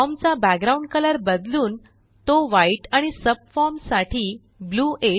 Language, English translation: Marathi, And change the background color to white for the form and Blue 8 for the subform